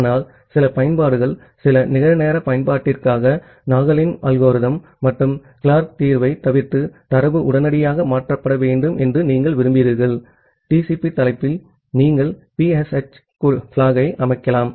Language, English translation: Tamil, But, for certain applications say for some real time application, you want that the data is transferred immediately bypassing the Nagle’s algorithm and the Clark solution; in that case in the TCP header you can set the PSH flag